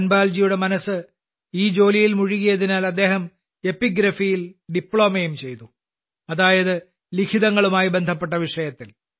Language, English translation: Malayalam, Dhanpal ji's mind was so absorbed in this task that he also did a Diploma in epigraphy i